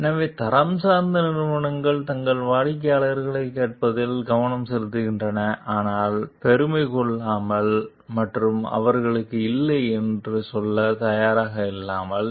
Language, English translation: Tamil, So, quality oriented companies, they focus on listening to their customers, but may take pride and being willing to say no to them